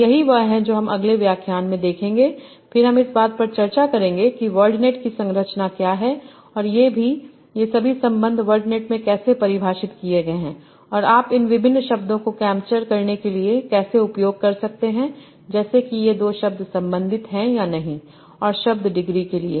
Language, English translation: Hindi, That's what you will see in the next lecture when we will have our discussions on what is the structure of word net and how are all these relations defined in word net and how can you can use that to capture various semantics like whether these two words are related or not and to what degree